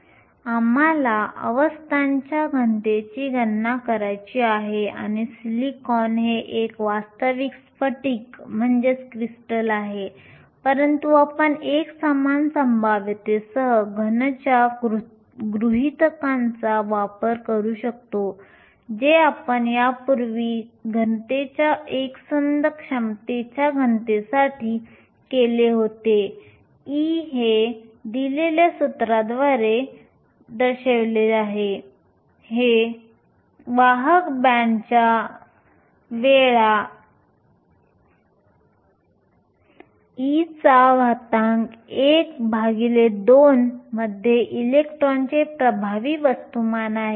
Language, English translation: Marathi, Now, we want to calculate the density of states and silicon is a real crystal, but we can make use of the assumption of a solid with a uniform potential, which we did earlier for a solid with a uniform potential the density states, e is given by 8 by square root of 2 by h cube m e star, which is the effective mass of the electron in the conduction band times e to half